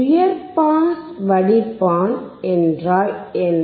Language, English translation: Tamil, What does high pass filter means